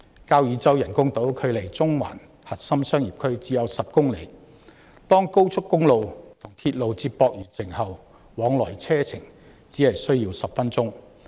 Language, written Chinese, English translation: Cantonese, 交椅洲人工島距離中環核心商業區只有10公里，當高速公路和鐵路接駁完成後，往來車程只需10分鐘。, The artificial island on Kau Yi Chau is only 10 km from the CBD in Central and after the completion of expressway and railway connections a journey between the two districts will only take 10 minutes